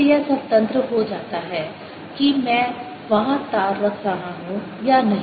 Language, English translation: Hindi, direct becomes independence of whether i am putting a wire there or not